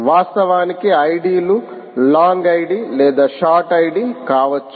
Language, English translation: Telugu, actually, id s can be either long, id or short